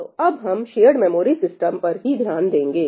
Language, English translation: Hindi, So, we will stick to shared memory systems